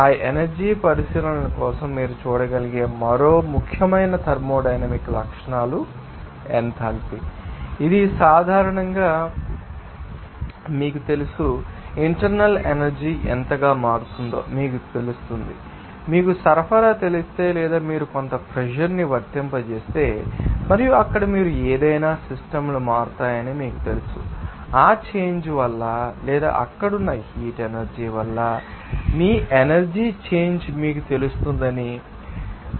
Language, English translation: Telugu, Another important thermodynamic properties you can see for that energy consideration is the enthalpy it is generally that you know, how much you know internal energy will be changed there and also if you know supply or if you apply some pressure and because of it there any you know that the volume of that you know systems will change, you will see there will be you know change of you know system energy because of that applying or that heat energy there